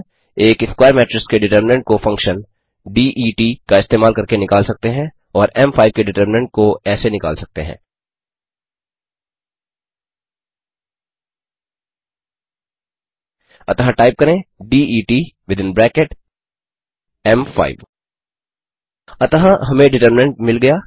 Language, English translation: Hindi, The determinant of a square matrix can be obtained by using the function det() and the determinant of m5 can be found out as, So type det within bracket m5 Hence we get the determinant